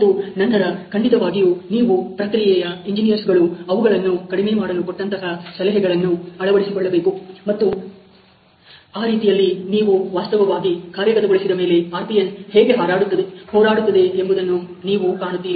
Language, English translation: Kannada, And then obviously, you implement some of the suggestions a given by the process engineers to reduce them, and that way you are able to actually see how the RPN is warring after the improvement